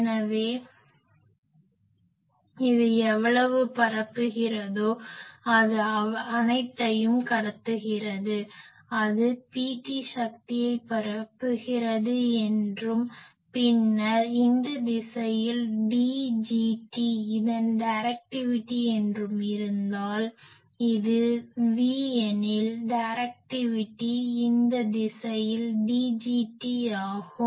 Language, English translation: Tamil, So, whatever this is transmitting this is receiving, how much it is transmitting let us say that it is transmitting P t amount of power, then it is directivity is D gt in this direction, or I can say maximum directivity in this direction, or directivity in this direction, if it is it is a V that is D gt